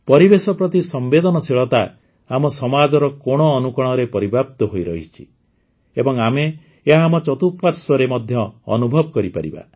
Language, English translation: Odia, My dear countrymen, sensitivity towards the environment is embedded in every particle of our society and we can feel it all around us